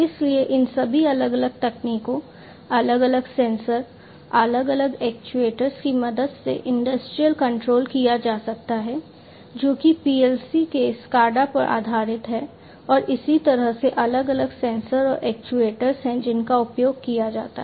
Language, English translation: Hindi, So, industrial control can be done with the help of all of these different technologies, different sensors, different actuators, based on PLC’s SCADA and so on and there are different sensors and actuators that are used